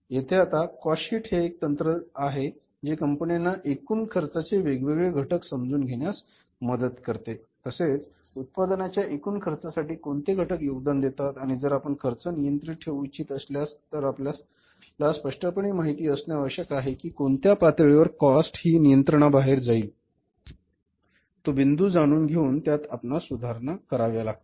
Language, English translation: Marathi, So, here now the cost sheet is the one technique which helps the companies to understand the different factors constituting the total cost or contributing towards the total cost of the product and if you want to keep the cost under control you must be clearly knowing at what level the cost is going beyond control only to hit at that point and then to rectify it